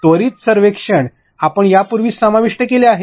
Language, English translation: Marathi, Quick surveys we have already covered that